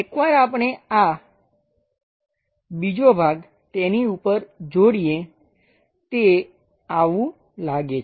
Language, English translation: Gujarati, Once we attach this second part on top of that it looks like that